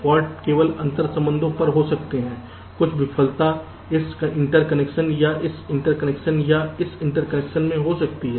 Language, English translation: Hindi, some failure can happen in this interconnection or this interconnection or this interconnection